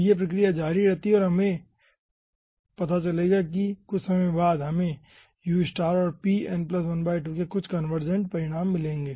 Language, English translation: Hindi, so this procedure, ah, continues and you will be finding out, after sometime we will be getting some ah converged result of ustar and p n plus half